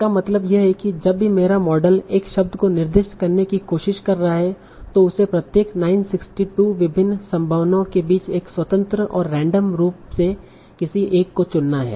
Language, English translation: Hindi, So what it means is that whenever my model is trying to assign a word it is as if it is has to choose among 962 different possibilities at each individual choice point independently and randomly